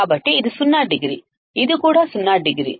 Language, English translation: Telugu, So, this is zero degree, this is also zero degree